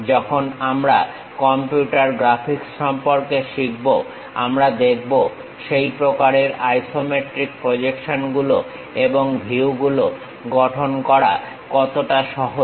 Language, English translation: Bengali, When we are learning about computer graphics we will see, how easy it is to construct such kind of isometric projections and views